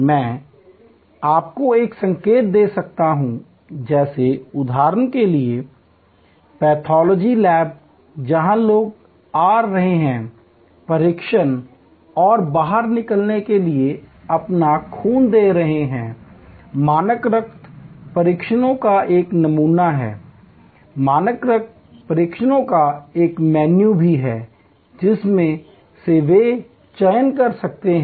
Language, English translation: Hindi, I can give you a hint like for example, pathology lab where people are coming in, giving their blood for testing and exiting, there is a menu of standard blood tests from which they can select